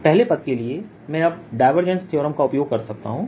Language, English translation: Hindi, for the first term i can now use divergence theorem